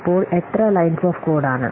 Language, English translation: Malayalam, So the lines of code may be different